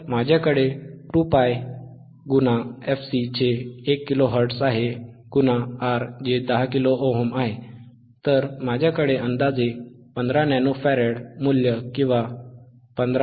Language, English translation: Marathi, I have 2 pi into fc, which is my 1 kilo hertz, into my R , which is 10 kilo ohm, then I will have value which is 5015 nano farad, approximately 15 point